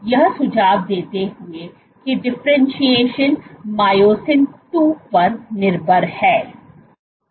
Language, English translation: Hindi, So, suggesting the differentiation is myosin II dependent